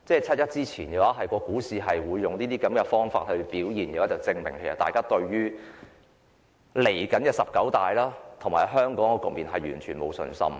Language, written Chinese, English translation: Cantonese, 七一之前，股市的表現會證明，大家對未來的十九大及香港的局面完全沒有信心。, The performance of the stock market before 1 July indicated that people do not have full confidence in the upcoming 19 National Congress of the Communist Party of China and the future situation of Hong Kong